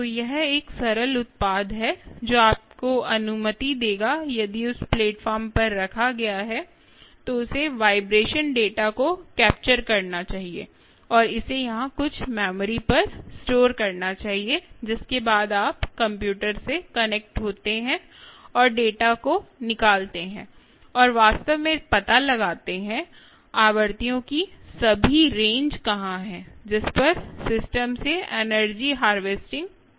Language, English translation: Hindi, so if i do this, ah, so this is a simple product ah, which will allow you, if placed on that platform, it should capture the vibration data and store it on some ah memory here, after which you connected to a computer and extract the data and actually find out what, where, all the range of frequencies over which the system is harvesting ah energy from